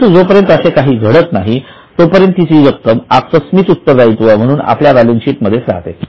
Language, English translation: Marathi, But as long as nothing of that sort happens, it remains in the balance sheet as a contingent liability